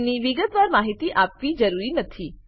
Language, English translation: Gujarati, They dont need a detailed description